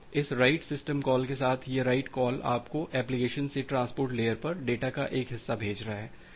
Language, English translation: Hindi, So, this write call with this write system call you’re sending a chunk of data from the application to the transport layer